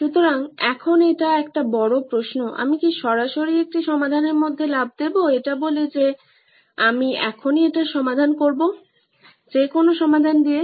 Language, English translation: Bengali, So, now what, is a big question, should I straightaway jump into a solution saying I will solve it right now with any solution